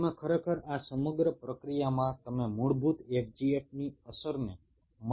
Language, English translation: Gujarati, you actually, in this whole process you diluted the effect of basic fgf